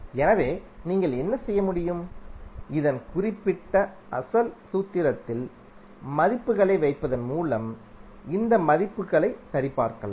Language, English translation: Tamil, So what you can do, you can verify these values by putting values in this particular original formula